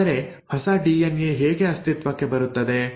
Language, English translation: Kannada, But how does a new DNA come into existence